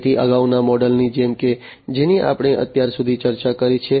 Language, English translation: Gujarati, So, like the previous models that we have discussed so far